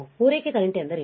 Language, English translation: Kannada, What is the supply current